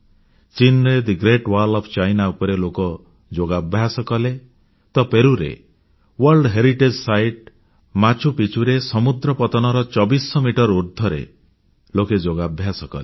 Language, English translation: Odia, In China, Yoga was practiced on the Great Wall of China, and on the World Heritage site of Machu Picchu in Peru, at 2400 metres above sea level